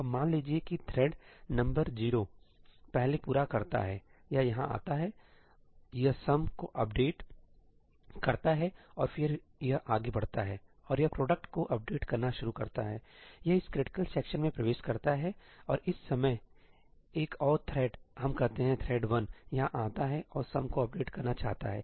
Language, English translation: Hindi, Now suppose that thread number 0 finishes first, it comes here, it updates sum and then it goes ahead and it starts updating the product, it enters this critical section; and at this point in time another thread, let us say, thread 1 comes here and wants to update the sum